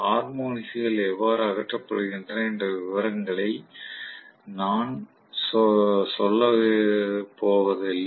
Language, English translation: Tamil, I am not going to get into the details of how the harmonics are eliminated